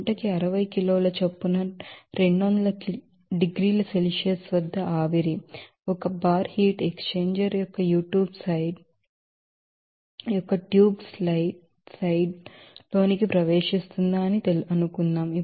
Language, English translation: Telugu, So, suppose a steam at a rate of 60 kg per hour at 200 degrees Celsius and one bar enters the tube side of the heat exchanger